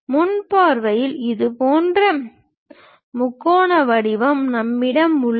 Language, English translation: Tamil, In the front view, we have such kind of triangular shape